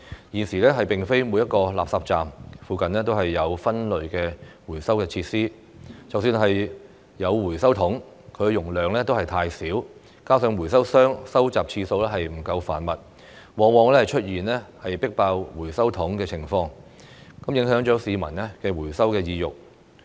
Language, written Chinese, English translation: Cantonese, 現時並非每個垃圾站附近都有分類回收設施，即使有回收桶，其容量亦太小，加上回收商收集次數不夠頻密，往往出現"迫爆"回收桶的情況，影響市民的回收意欲。, At present not every RCP has sorting and recycling facilities nearby . Even if recycling bins are available their capacity is too small . In addition the infrequent collection service provided by recyclers often results in overflowing recycling bins